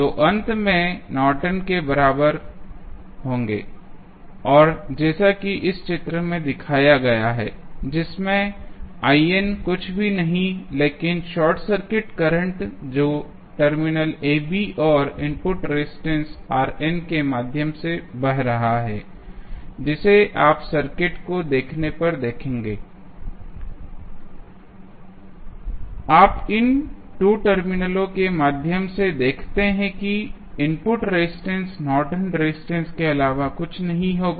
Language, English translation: Hindi, So, finally, we will get the Norton equivalent and as shown in this figure, where I n is nothing but the short circuit current which is flowing through the terminal AB and the R n is the input resistance which you will see when you see the circuit and you see through these 2 terminals, the input resistance the value of that would be nothing but Norton's resistance